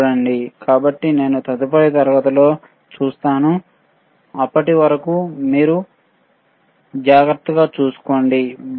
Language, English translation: Telugu, So, I will see in the next class till then you take care, bye